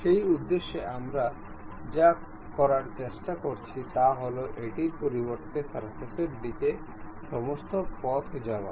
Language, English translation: Bengali, For that purpose what we are trying to do is, instead of blind; go all the way up to the surface